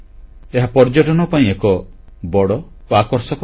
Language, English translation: Odia, It is a very important tourist destination